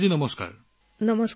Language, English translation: Assamese, Kalyani ji, Namaste